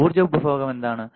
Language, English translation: Malayalam, What is the power consumption